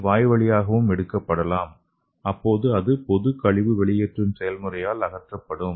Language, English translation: Tamil, And another thing it could be taken orally and it will be removed normally by the excretion process